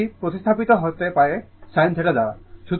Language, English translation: Bengali, And this one can be replaced by sin theta right